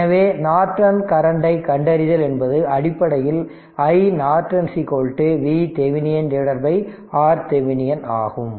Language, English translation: Tamil, So, finding Norton current; that means, i Norton basically is equal to V Thevenin by R thevenin